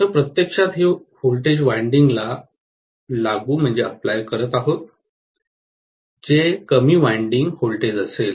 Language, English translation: Marathi, So, this is actually applying the voltage to the winding which will be the low voltage winding